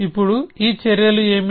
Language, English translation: Telugu, Now what are these actions